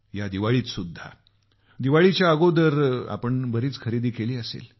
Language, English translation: Marathi, Even during this Diwali, you must have bought quite a few or a lot of things before Diwali